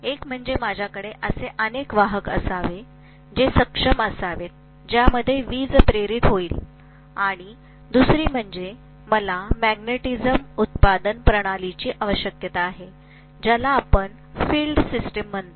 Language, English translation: Marathi, One is I should be able to have a bunch of conductors in which electricity will be induced and the second thing is I will need a magnetism producing system which we call as the field system